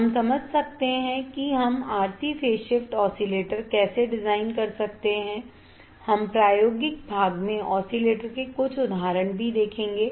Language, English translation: Hindi, We can understand how we can design an RC phase shift oscillator we will also see few examples of the oscillator in the experimental part